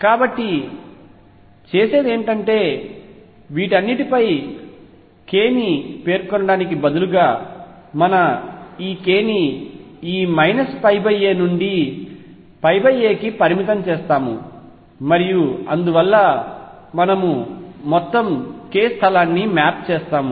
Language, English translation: Telugu, So, what we do is instead of specifying k over all these we restrict our k to within this minus pi by a to pi by a and therefore, then we actually map the entire k space